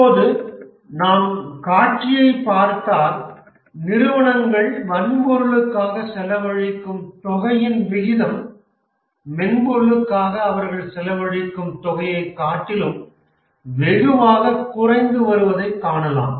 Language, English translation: Tamil, If we look at the scenario now, we can see that the scenario now, we can see that the amount that the company is spent on hardware versus the amount of the spend on software, the ratio is drastically reducing